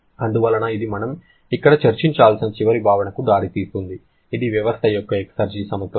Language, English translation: Telugu, So, this leads to the final concept that we had to discuss here which is the balance of exergy of a system